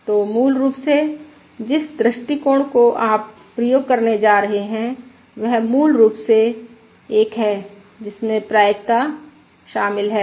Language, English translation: Hindi, So, basically, the approach that you are going to employ is basically one that involves the probability